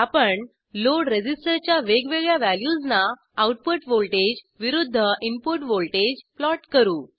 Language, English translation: Marathi, We will plot output voltage versus input voltage for different values of the load resistor